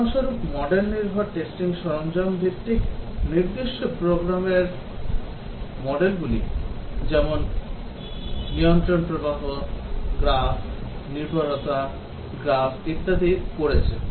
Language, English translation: Bengali, For example, the model base testing tools base has done certain program model like, control flow, graph, dependency graph, and so on